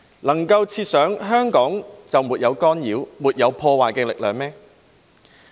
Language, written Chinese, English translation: Cantonese, 能夠設想香港就沒有干擾，沒有破壞力量嗎？, Can anyone imagine that there are in Hong Kong no forces that might engage in obstruction or sabotage?